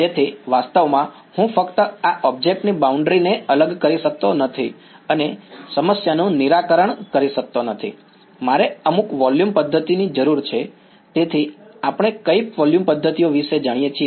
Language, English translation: Gujarati, So, realistically I cannot just discretize the boundary of this object and solve the problem, I need some volume method either so, what are the volume methods that we know of